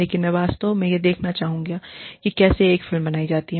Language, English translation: Hindi, But, I would really like to see, how a film is made